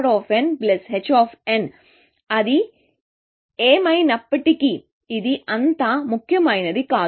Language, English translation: Telugu, Anyway, that is not so important